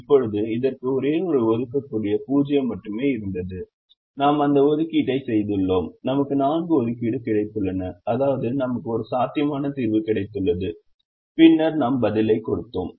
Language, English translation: Tamil, now this had only one assignable zero, which is here, and we made the assignment and realize that we have got four assignments, which means we have i got a feasible solution and then we gave the answer